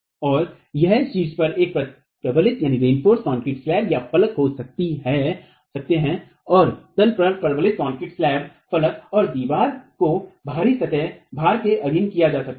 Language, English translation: Hindi, So, it could be a reinforced concrete slab at the top and the reinforced concrete slab at the bottom and wall is subjected to an out of plain load